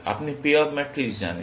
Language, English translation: Bengali, You know the payoff matrix